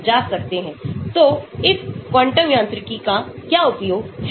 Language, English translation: Hindi, So, what are the uses of this quantum mechanics